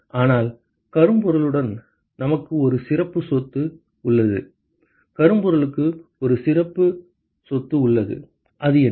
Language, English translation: Tamil, But with blackbody, we have a special property blackbody has a special property, what is that property